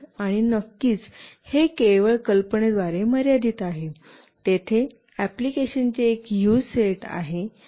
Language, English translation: Marathi, And of course, it is limited just by imagination, there is a huge set of applications